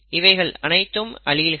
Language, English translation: Tamil, These are the alleles